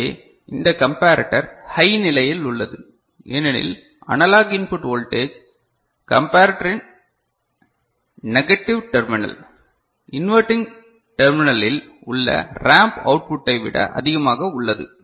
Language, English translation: Tamil, So, this comparator is remaining high because analog input voltage is higher than the ramp output which is at the negative terminal of the comparator, inverting terminal of the comparator